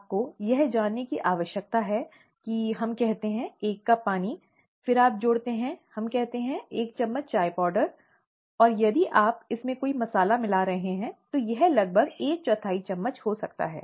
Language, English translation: Hindi, You need to know that you take, let us say, a cup of water, then you add, let us say, a teaspoon of tea powder, and if you are adding any masala to it, may be about a quarter teaspoon of it and so on and so forth